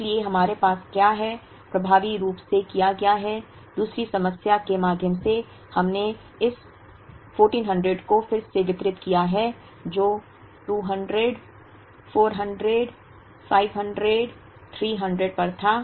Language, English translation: Hindi, So, what we have effectively done is through the second problem, we have redistributed this 1400, which was at 200, 400, 500, 300